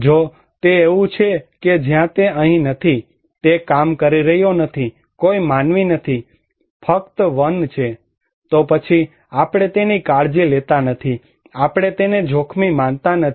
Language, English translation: Gujarati, If it is like that where he is not here, he is not working, no human being, only forest, then we do not care about it, we do not consider it as risky